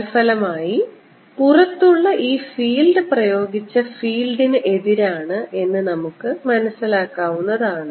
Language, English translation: Malayalam, as a consequence, what you notice outside here the field is opposite to the applied field